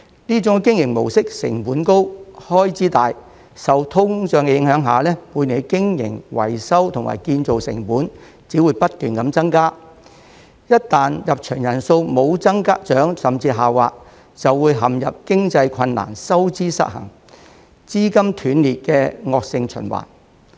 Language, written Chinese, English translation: Cantonese, 這種經營模式成本高、開支大，受通脹影響下，每年的經營、維修及建造成本只會不斷增加，一旦入場人數無增長甚至下滑，便會陷入經營困難、收支失衡、資金斷裂的惡性循環。, This mode of operation incurs hefty costs and high expenditures and under the inflationary effect the annual operating maintenance and construction costs will only keep rising . Once the attendance does not increase or even declines the park will fall into a vicious cycle of operational difficulties an imbalance of income and expenditure and discontinued injection of funds . OP is precisely caught in such a vicious cycle